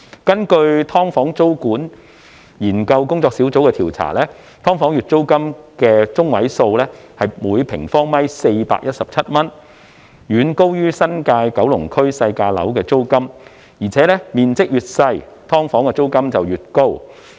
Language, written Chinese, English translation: Cantonese, 根據"劏房"租務管制研究工作小組的調查，"劏房"月租中位數為每平方米417元，遠高於新界區及九龍區內"細價樓"的租金，而且"劏房"面積越小，每平方米月租便越高。, According to a survey conducted by the Task Force for the Study on Tenancy Control of Subdivided Units the median monthly rent of subdivided units SDUs was 417 per sq m which was much higher than that of lower - priced flats in the New Territories and Kowloon and the monthly rent per sq m was also found to be much higher in a smaller SDU